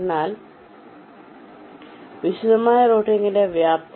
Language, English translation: Malayalam, this is the scope of detailed routing